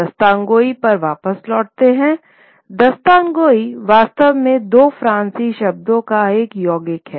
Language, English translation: Hindi, So returning back to Dastan Goy, really, is a compound of two Persian words